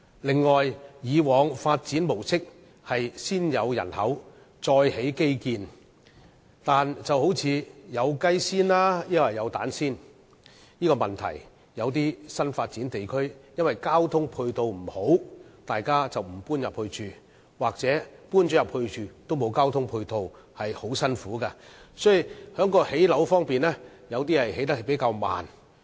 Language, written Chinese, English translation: Cantonese, 此外，政府以往的發展模式是先有人口，然後才提供基建，但正如"先有雞還是先有蛋"的問題般，一些新發展地區由於交通配套不佳，市民因而不願意遷往居住，又或是在搬進去後卻欠缺交通配套，生活相當辛苦，有些樓宇的興建速度亦因此會較為緩慢。, This is the question of which came first the chicken or the egg . For certain newly developed districts the people are not willing to move into the districts because of the undesirable transport support . Yet if people move into those districts they will find their life very difficult and the construction speed of buildings in those districts will be slowed down